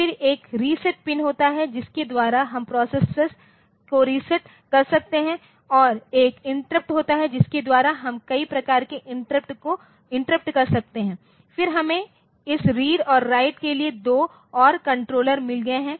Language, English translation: Hindi, Then there is a reset pin by which we can reset the processor and there is one interrupt interrupts are there by which we can have a number of interrupt, then we have got 2 more controllers this read and write